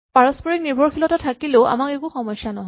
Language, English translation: Assamese, So if there are mutual dependencies we do not have a problem